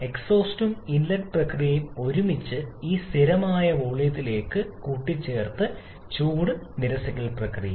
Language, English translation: Malayalam, And the exhaust and inlet process together has been coupled into this one constant volume heat rejection process